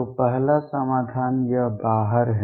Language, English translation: Hindi, So, the first solution this one is out